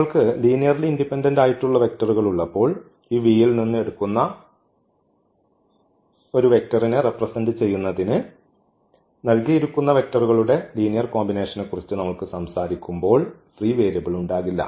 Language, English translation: Malayalam, And when you have linearly independent vectors there will be no free variable when we talk about that linear combination of the given vectors to represent a vector from this V